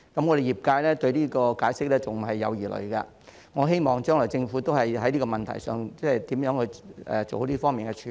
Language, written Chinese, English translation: Cantonese, 我們業界對於這個解釋仍有疑慮，我希望將來政府會就這個問題，處理好這方面的事宜。, Our sector still has doubts over this explanation and I hope the Government will deal with issues in this respect properly in the future